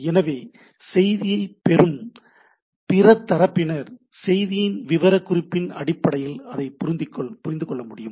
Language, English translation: Tamil, So, that the other party on receiving the message can basically decipher based on the specification of the message